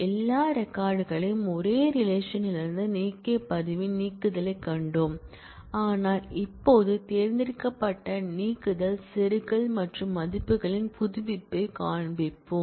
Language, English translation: Tamil, We saw a delete of record which removed all records from a relation, but now we will see selective deletion insertion and update of values